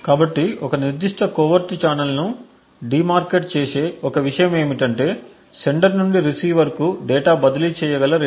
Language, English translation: Telugu, So, one thing that de markets a particular covert channel is the rate at which data can be transferred from the sender to the receiver